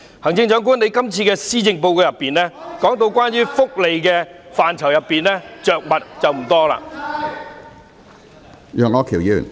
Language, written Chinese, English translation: Cantonese, 行政長官，在這份施政報告中，你對福利範疇着墨不多......, Chief Executive you have not devoted much coverage to welfare in the Policy Address